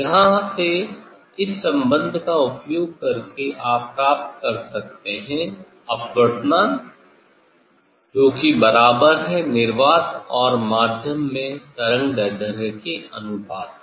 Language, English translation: Hindi, from here using this relation one can get refractive index equal to ratio of the wavelength of in vacuum as well as in the medium